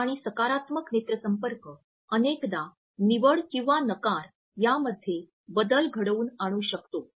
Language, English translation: Marathi, In fact, it can be said that a direct and positive eye contact can often make the difference between one selection or rejection